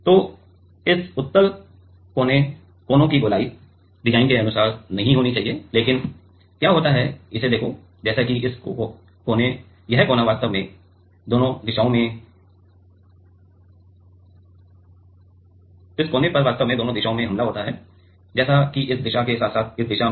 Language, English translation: Hindi, So, rounding up of this convex corners should not be there according to the design, but what happens is; see this like this corner actually attacked from both direction like this direction as well as this direction